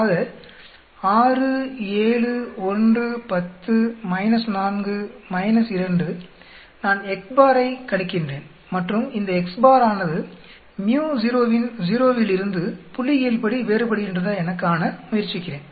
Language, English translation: Tamil, So 6, 7, 1, 10 minus 4 minus 2, I calculate the x bar and I will try to see whether this x bar is statistically different from µ0of 0